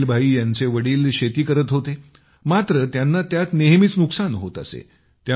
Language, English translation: Marathi, Ismail Bhai's father was into farming, but in that, he often incurred losses